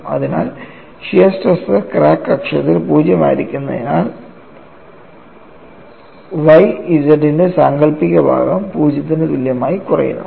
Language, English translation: Malayalam, So, when y is 0, that term automatically goes to 0; so shear stress being 0 along the crack axis reduces to imaginary part of Y z equal to 0